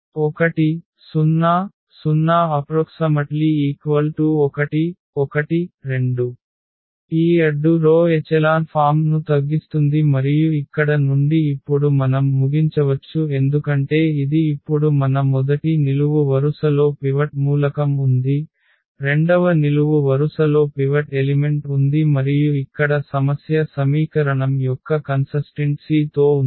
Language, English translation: Telugu, So, 4 3 1 and then 0 here 1 1 and 0 0 2 so, this is the row reduce echelon form and from here now we can conclude because this is now our the first column has a pivot element the second column has also the pivot element and, but the problem here is with the consistency of the equation